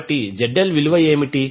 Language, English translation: Telugu, So, what will be the value of ZL